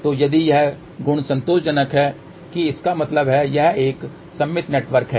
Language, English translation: Hindi, So, if this property is satisfied that means, it is a symmetrical network